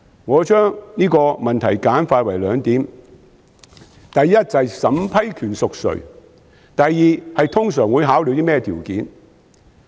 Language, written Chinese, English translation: Cantonese, 我將這個問題簡化為兩點：第一，是審批權誰屬；第二，是通常會考慮甚麼條件。, I summarize this issue into two points first who has the power of approval and secondly what conditions will normally be considered